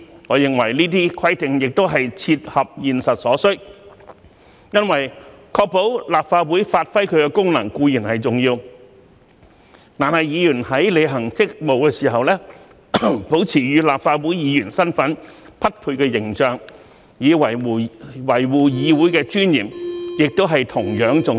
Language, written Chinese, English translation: Cantonese, 我認為這些規定也是切合現實所需，因為確保立法會發揮其功能固然重要，但議員在履行職務時，保持與立法會議員身份匹配的形象，以維護議會的尊嚴，亦同樣重要。, I think these requirements are realistic because while it is important to ensure that the Legislative Council can perform its functions it is equally important for Members to maintain an image commensurate with their status as Members of the Legislative Council in order to uphold the dignity of the Council in the discharge of their duties